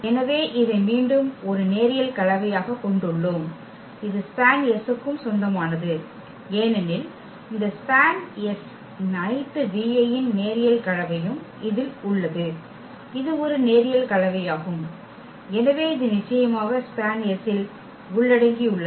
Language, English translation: Tamil, So, we have again this as a linear combination so, this will also belong to span S because this span S contains all linear combination of the v i’s and this is a linear combination so, definitely this will also belong to the span S